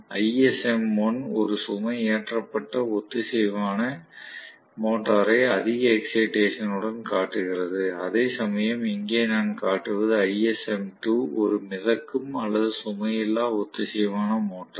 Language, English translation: Tamil, So, ISM 1 shows loaded synchronous motor with excess excitation whereas I am going to show here, ISM 2 is floating or unloaded synchronous motor